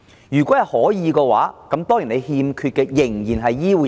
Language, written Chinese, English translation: Cantonese, 如果可以，我們欠缺的仍然是醫護人員。, If so what we lack is still a supply of health care workers